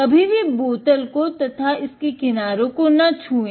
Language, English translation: Hindi, Never touch the bottom, nor the sides